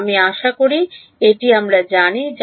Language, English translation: Bengali, I hope it that we know